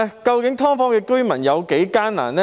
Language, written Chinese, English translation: Cantonese, 究竟"劏房"居民有多艱難呢？, How difficult are the lives of the tenants living in subdivided units?